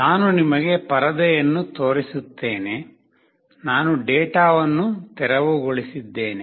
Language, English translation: Kannada, I will show you the screen, I have cleared out the data